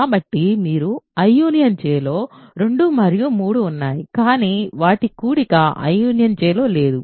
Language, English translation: Telugu, So, you have 2 and 3 in I union J, but their sum is not in I union J ok